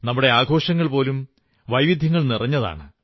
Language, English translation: Malayalam, Even our festivals are replete with diversity